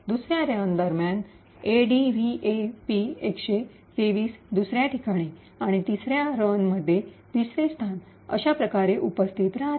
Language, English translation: Marathi, During the second run the ADVAP123 is present at another location and in the third run, third location and so on